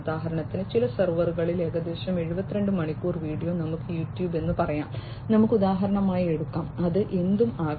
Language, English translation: Malayalam, For example, some 72 hours of video on some server such as let us say YouTube; let us just take for example, it could be anything